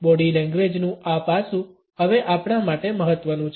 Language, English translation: Gujarati, This aspect of body language is now important for us